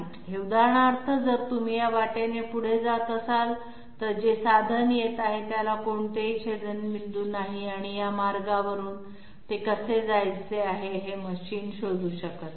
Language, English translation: Marathi, This one for example, if you are moving along this path so the tool which is coming, it does not have any intersection and this way, so the machine cannot find out how it is supposed to move from this path to that path